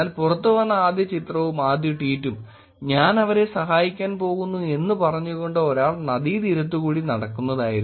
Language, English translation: Malayalam, But the first picture and the first tweet that came out, but this picture was actually a person walking on the riverside posting a picture saying that ‘I am going to actually go help them